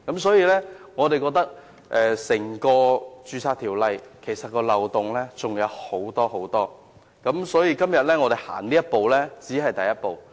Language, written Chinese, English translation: Cantonese, 所以，我們認為《條例》還有很多漏洞，而我們今天只是踏出修補漏洞的第一步。, Hence we consider that CMO is fraught with loopholes . Today we have only taken the first step in plugging the loopholes